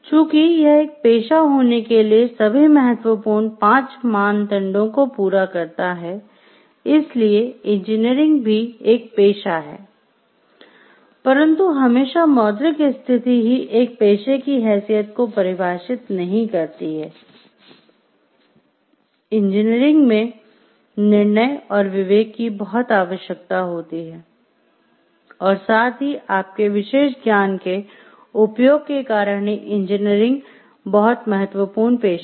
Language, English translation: Hindi, So, but still because it fulfills all the five important criteria to be a profession engineering is a profession and, because it has the come money the state monetary status does not always define the status of a profession and, in engineering lot of judgment and discretion is required along with the application of your specialized knowledge engineering is a very important profession